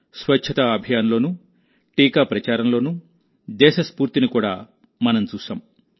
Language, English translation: Telugu, We had also seen the spirit of the country in the cleanliness campaign and the vaccination campaign